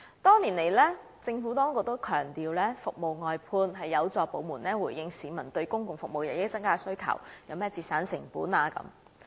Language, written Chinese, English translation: Cantonese, 多年來，政府當局也強調服務外判有助部門回應市民對公共服務日益增加的需求，有助節省成本。, Over the years the Administration has been emphasizing that service outsourcing responds to the publics rising demands for public services and help save costs